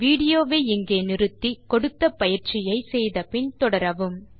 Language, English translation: Tamil, Pause the video here,do the exercise then resume the video